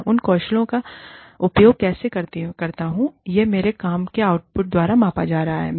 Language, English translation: Hindi, How i use those skills, is going to be measured, by the output of my work